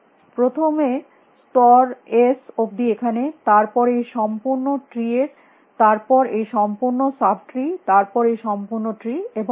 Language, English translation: Bengali, First up to level s here then this whole tree then this whole sub tree then this whole tree and so, on